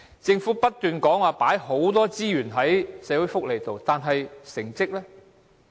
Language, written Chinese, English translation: Cantonese, 政府不斷說投放很多資源在社會福利上，但成績如何？, The Government keeps on saying that it has injected a lot of resources in social welfare but what is the result?